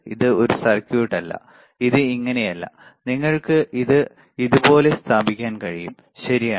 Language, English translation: Malayalam, This is not a circuit; this is not this thing, that you can place it like this, right